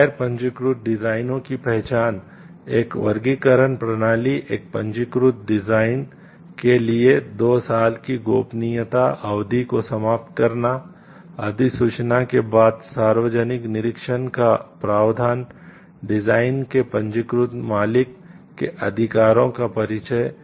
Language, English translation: Hindi, So, identification of non registerable designs, introducing a classification system, elimination of secrecy period of two years for a registered design, provision of public inspection after notification, introduction of rights of registered proprietor of design